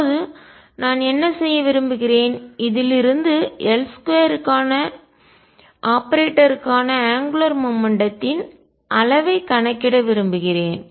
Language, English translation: Tamil, Now, what I want to do is from this I want to calculate the operator for operator for L square the magnitude of the angular momentum